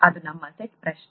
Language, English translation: Kannada, That’s our set question